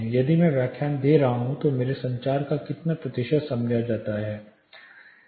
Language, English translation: Hindi, If I am lecturing how much percentage of my communication is understood